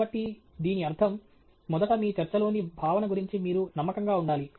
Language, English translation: Telugu, So, this means, first of all, you have to be confident about the content of your talk